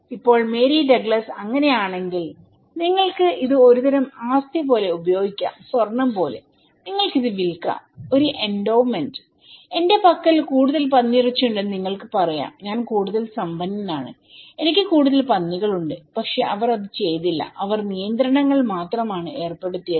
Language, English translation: Malayalam, Now, somebody is now, Mary Douglas is arguing that if it is so, then you can use it like a kind of asset, okay like gold, you can sell it, when as an endowment and you can say the more pork I have, more rich I am, more pigs I have but they didnít do, they only put restrictions